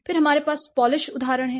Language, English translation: Hindi, Then we have Polish examples, this language